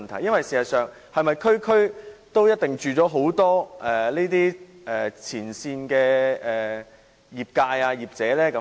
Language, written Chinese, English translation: Cantonese, 事實上，是否每區都住了很多前線的業者呢？, Do many people of the trade actually live in each and every district?